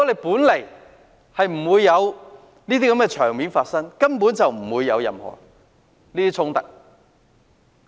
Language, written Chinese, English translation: Cantonese, 本來沒有這些場面，便根本不會出現任何衝突。, Had there been no such occasion in the first place no conflict would have arisen at all